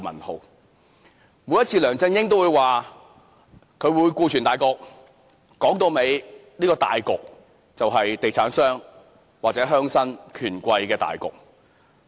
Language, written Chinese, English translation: Cantonese, 每一次，梁振英都會表明要顧全大局，說到底，這個大局就是地產商或鄉紳權貴的大局。, Every time LEUNG Chun - ying would say that he has to consider overall interests . After all the overall interests are the interests of the developers or the rich and influential people of the rural areas